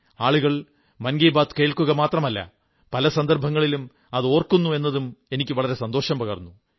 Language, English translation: Malayalam, I was very happy to hear that people not only listen to 'Mann KI Baat' but also remember it on many occasions